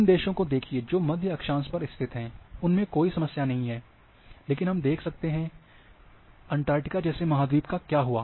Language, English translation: Hindi, So, again here countries which are located in the middle latitude, no problem, but see that what happens to the continent like Antarctica